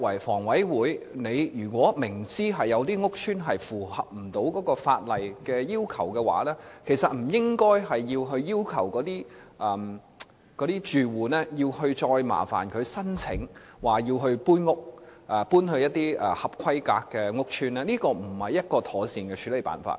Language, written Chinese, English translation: Cantonese, 房委會如果明知有一些租置屋邨無法符合法例要求，妥善的處理辦法不是要求住戶申請調遷到一些合規格的屋邨居住，而是作出改善。, If HA is well aware that certain TPS estates do not meet the legal requirements the proper way to deal with the situation is not to ask the tenants to apply for transfer to other estates that meet the required standard but to make improvements